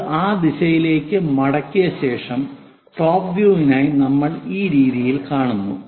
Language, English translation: Malayalam, That after folding it into that direction we see it in this way for the top view